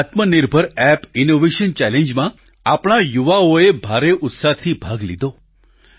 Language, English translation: Gujarati, Our youth participated enthusiastically in this Aatma Nirbhar Bharat App innovation challenge